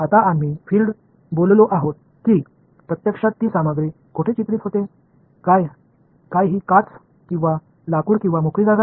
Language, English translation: Marathi, Now fields we have spoken about where does the material actually come into picture, whether its glass or wood or free space